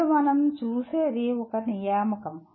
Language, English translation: Telugu, Now, what we will look at is an assignment